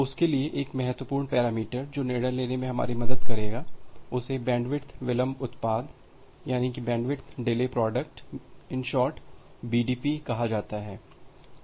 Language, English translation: Hindi, So, for that, one important parameter that will help us in this decision making is something called a bandwidth delay product